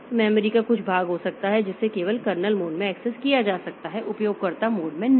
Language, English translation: Hindi, So, there may be certain portion of memory so which can be accessed only in the kernel mode not in the user mode